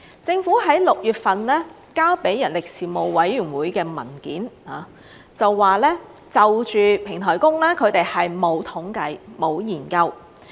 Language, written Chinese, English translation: Cantonese, 政府在6月份提交給人力事務委員會的文件中說，就平台工，他們是沒有統計，沒有研究。, In a paper submitted by the Government to the Panel on Manpower in June it said that the Government did not have any statistics or studies on this subject